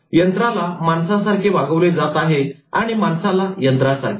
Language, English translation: Marathi, Machine is given human treatment and human is treated like a machine